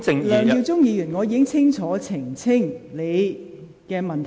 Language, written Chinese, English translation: Cantonese, 梁耀忠議員，我已清楚回答你的問題。, Mr LEUNG Yiu - chung I have answered your question clearly